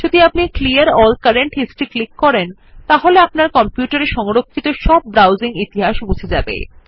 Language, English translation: Bengali, If we click on Clear all current history then all the browsing history stored on the your computer will be cleared